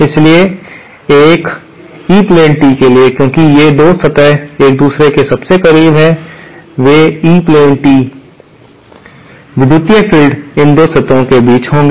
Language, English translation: Hindi, So, for an E plane tee, since these 2 surfaces are closest to each other, they E plane tee, the electric fields will be between these 2 surfaces